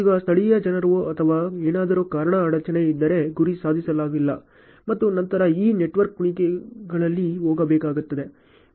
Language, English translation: Kannada, Now if there is a hindrance due to local people or something then target not accomplished and then this network has to go in loops